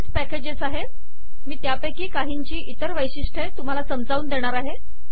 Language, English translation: Marathi, There are lots of these packages, I am going to illustrate some of the other features now